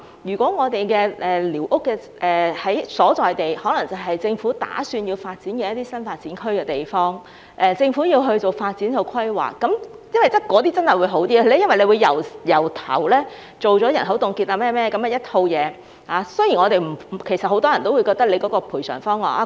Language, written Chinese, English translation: Cantonese, 如果寮屋的所在地，是政府打算發展的新發展區，而政府要進行發展規劃，這些地方會比較好，因為當局會進行人口凍結或甚麼等一套工作，雖然很多人也認為有關賠償方案......, In the event that the squatter structures are located in an area which is planned to be developed into a new development area by the Government and where development planning is to be carried out by the Government the situation will be better because the authorities will carry out a series of work including the freezing survey . Although many people think that the compensation arrangement President I have to be fair to the Secretary